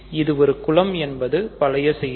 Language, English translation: Tamil, So, it is a group that is old news